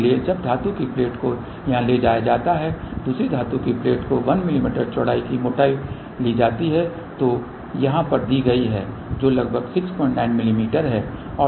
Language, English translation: Hindi, So, now metallic plate is taken here another metallic plate is taken thickness of 1 mm width is given over here which is about 6